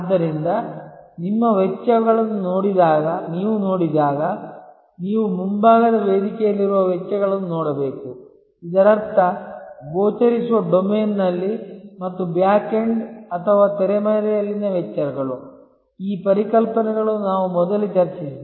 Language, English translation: Kannada, And therefore, when you look at your costs, you should look at costs, which are on the front stage; that means, in the visible domain and costs at the backend or backstage, these concepts we have discussed earlier